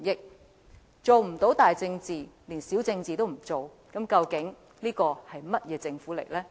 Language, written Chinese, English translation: Cantonese, 如果做不到大政治，連小政治都不做，這究竟是一個甚麼樣的政府呢？, The Government has already failed to handle macro politics if it even refuses to act in micro politics what kind of government is it?